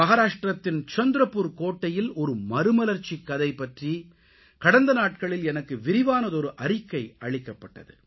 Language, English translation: Tamil, A few days ago I received a very detailed report highlighting the story of transformation of Chandrapur Fort in Maharashtra